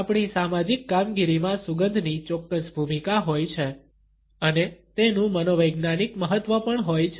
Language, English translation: Gujarati, In our social functioning, scent has a certain role and it also has a psychological significance